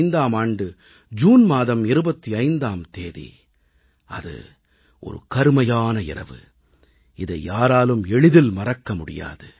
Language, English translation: Tamil, 1975 25th June it was a dark night that no devotee of democracy can ever forget